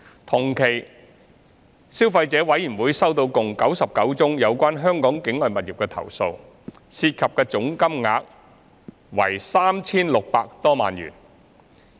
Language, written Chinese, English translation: Cantonese, 同期，消費者委員會收到共99宗有關香港境外物業的投訴，涉及的總金額為 3,600 多萬元。, Over the same period the Consumer Council received 99 complaints related to properties situated outside Hong Kong and the amounts involved totalled over 36 million